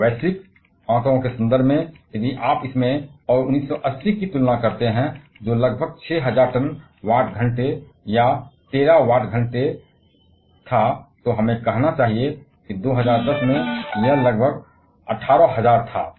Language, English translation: Hindi, And in terms of the global figure, if you compare this one and 1980, which was around 6,000 ton watt hour or Terra Watt Hour we should say, in 2010 it was around 18,000